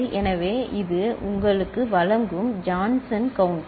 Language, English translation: Tamil, So, that is the Johnson counter providing you